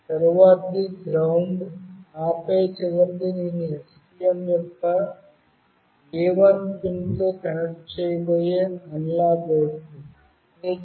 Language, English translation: Telugu, The next one is GND, and then the last one is the analog output that I will be connecting with the A1 pin of STM